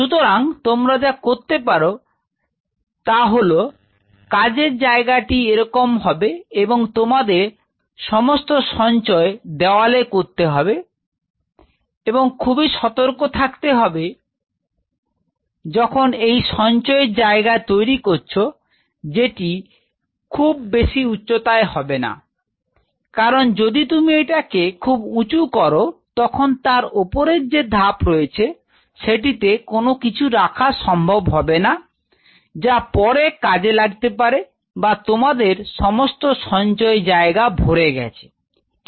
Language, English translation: Bengali, So, what you can do you could have your working bench like this and you have all the storage on the walls of course, on has to be very careful when setup the storage area you should not be very high also because at times that or you could have make it high, but on the top shelves we can store all those stuff which will be needing later ok or you can have a complete storage area right